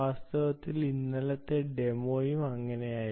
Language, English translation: Malayalam, in fact the yesterdays demo was also like that